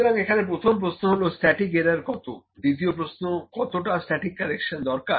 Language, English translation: Bengali, So, the question is number 1, what is static error; number 2, what is static correction